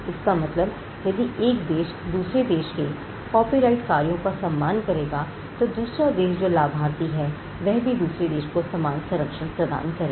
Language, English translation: Hindi, Reciprocity is if one country would respect the copyrighted works of another country, the country which is the beneficiary will also extend the same protection to the other country